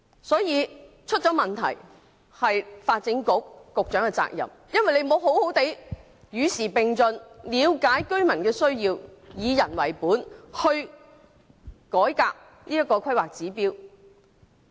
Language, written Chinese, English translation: Cantonese, 所以，發展局局長是責無旁貸的，他沒有與時並進，了解居民的需要，以人為本改革《規劃標準》。, Therefore the Secretary for Development should be blamed for failing to keep abreast of the times and the needs of the residents and to revise HKPSG using a people - oriented approach